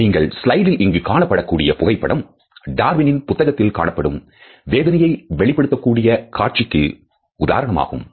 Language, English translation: Tamil, The photographs which you can see on this slide are the illustration of grief from this book by Darwin